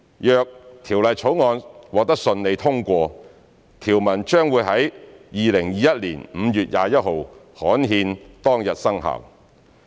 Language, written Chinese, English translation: Cantonese, 若《條例草案》順利獲得通過，條文將於2021年5月21日刊憲當日生效。, If the Bill is smoothly passed the provisions will come into effect on the date of gazettal ie . on 21 May 2021